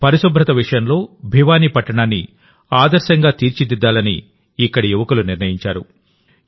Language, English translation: Telugu, The youth here decided that Bhiwani city has to be made exemplary in terms of cleanliness